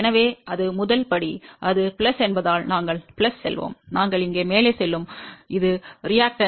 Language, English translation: Tamil, So, that is the first type, then since it is plus, we will go plus, we will go up here and this is that reactance 0